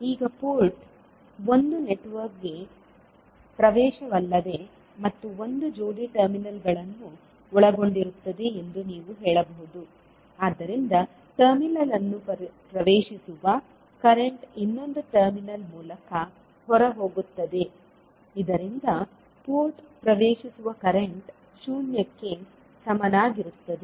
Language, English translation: Kannada, Now, you can also say that the port is nothing but an access to a network and consists of a pair of terminal, the current entering one terminal leaves through the other terminal so that the current entering the port will be equal to zero